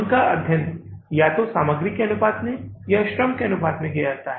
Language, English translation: Hindi, They are studied in proportion to either material or in the proportion to labor